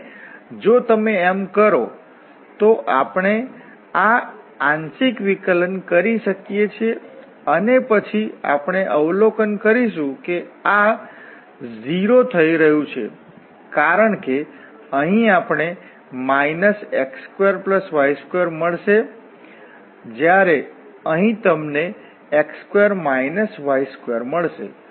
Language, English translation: Gujarati, And if you do so, so, we can do this partial differentiation and then we will observe that this is coming to be 0, because here we will get minus x square plus y square whereas, here you will get x square and then minus y square